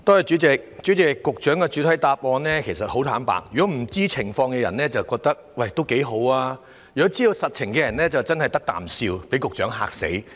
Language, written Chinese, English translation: Cantonese, 主席，就局長的主體答覆，坦白說，不知道情況的人會覺得這樣也不錯，但知道實情的人真是"得啖笑"，被局長嚇死。, President as far as the Secretarys main reply is concerned frankly speaking those who do not understand the situation will find it quite alright but those who understand the actual situation will find it a joke and be shocked by the Secretary